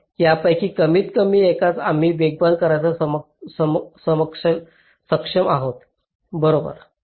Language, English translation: Marathi, so at least one of them were able to speed up, right